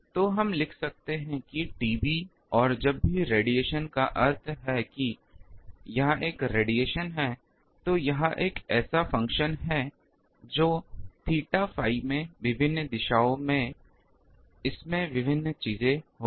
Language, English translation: Hindi, So, we can write that T B and also whenever radiation means that is a radiation it is a function that theta phi in various directions it will have various things